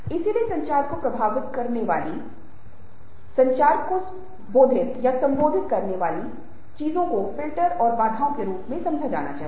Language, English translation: Hindi, so the things which affects communication, which disrupt or modify communication, have to be understood as filters and barriers